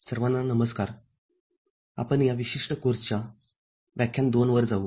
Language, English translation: Marathi, Hello everybody, we move to lecture 2 of this particular course